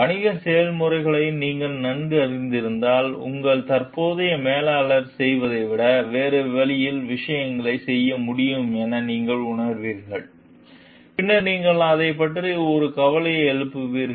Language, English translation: Tamil, Like if you know the business processes well, you feel like you can do things in a different way, then your current manager is doing, then you will raise the concern about it